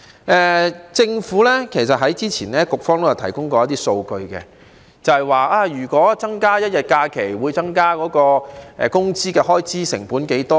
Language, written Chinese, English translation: Cantonese, 根據政府當局早前提供的數據，增加1天假期會令工資開支成本增加多少呢？, According to the figures provided by the Administration earlier how much additional wage cost will be incurred for an additional holiday?